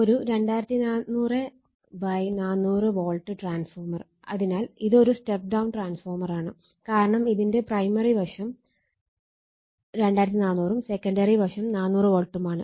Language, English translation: Malayalam, So, now, this is for this numerical a 2400 / 400 volt is a step down transformer because this is primary sidE2400 and secondary side 400 volts